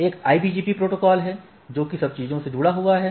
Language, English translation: Hindi, So, there is a IBGP protocols which are connected across the thing